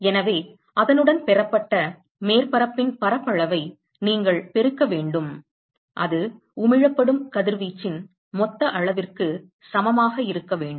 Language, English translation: Tamil, So, you have to multiply it by the surface area of the receiving surface that should be equal to the total amount of radiation that is emitted